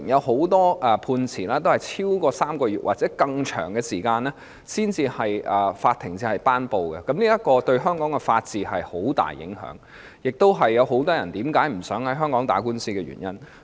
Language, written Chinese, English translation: Cantonese, 很多判詞均在超過3個月或更長的時間後才頒布，這對香港的法治有很大影響，亦是很多人不想在香港打官司的原因。, Many judgments took more than three months or even longer to hand down . This has a great impact on the rule of law in Hong Kong . It is also the reason why many people do not wish to initiate lawsuits in Hong Kong